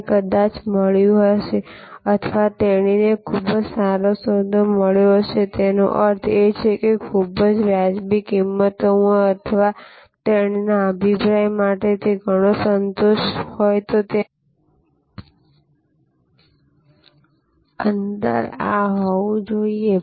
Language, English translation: Gujarati, He might have got a or she might have got a very good deal; that means, a lot of satisfaction for in his or her opinion in a very reasonable price, then that gap should have been this